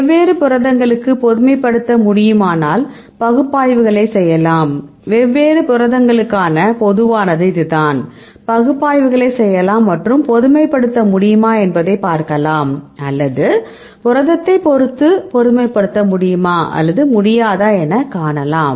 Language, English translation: Tamil, If you can generalize for the different proteins, then we can make an analyses ok, this is the case for the general generally for different proteins, you can do analyses and to see whether you can generalize, or we cannot generalize depending upon the protein or not right